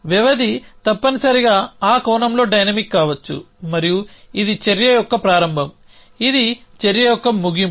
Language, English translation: Telugu, So duration could be dynamic in that sense essentially and so this is a start of the action this is the end of the action